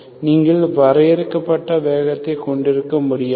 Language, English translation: Tamil, Okay, you cannot have finite speed of propagation